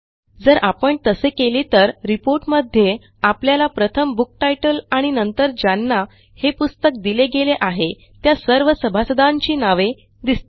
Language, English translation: Marathi, If we do that, then in the report we will see a book title and then all the members that it was issued to